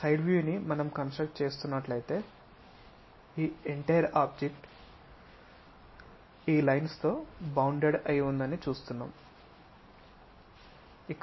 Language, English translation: Telugu, Side view; if we are going to construct that let us see this entire object will be bounded by these lines